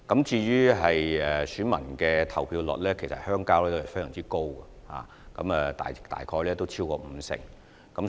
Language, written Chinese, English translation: Cantonese, 至於鄉郊代表選舉的投票率，其實是十分高的，大約超過五成。, With regard to the turnout rate of rural representative elections it is actually very high and is more than 50 %